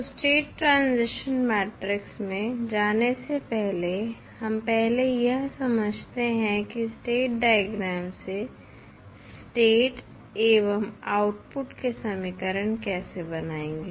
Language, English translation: Hindi, So, before going into the state transition matrix, let us first understand how you will create the state and output equations from the state diagram